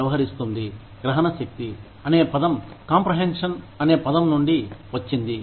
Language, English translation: Telugu, Comprehensibility, comes from the word, comprehension